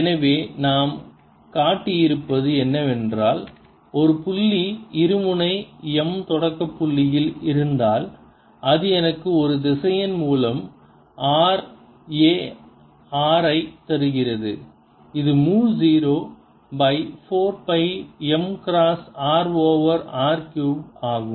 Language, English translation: Tamil, so what we have shown is if there is a point dipole m sitting at the origin, this gives me a vector field r a r which is mu naught over four pi m cross r over r cubed